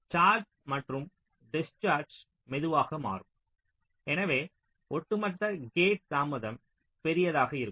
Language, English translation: Tamil, charging and discharging will become slow, so the overall gate delay will be large